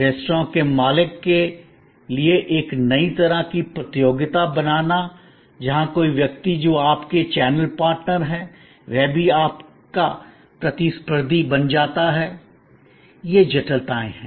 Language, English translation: Hindi, Creating a new kind of competition for the restaurant owners, where somebody who is your channel partner in a way also becomes your competitor, these are complexities